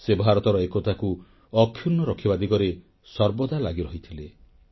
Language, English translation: Odia, He always remained engaged in keeping India's integrity intact